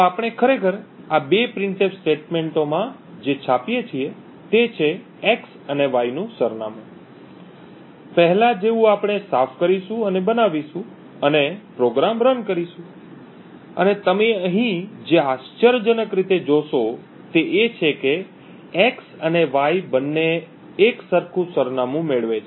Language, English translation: Gujarati, So what we are actually printing in these two printf statements is the address of x and y, as before we will make clean and make it and run the program and what you see over here surprisingly is that both x and y get the same address